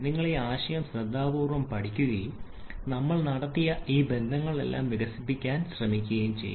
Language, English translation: Malayalam, You please study this concept carefully and check their and also try to develop all this relations that we have done